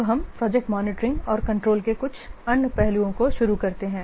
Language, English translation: Hindi, Now let's start the some other aspects of project monitoring and control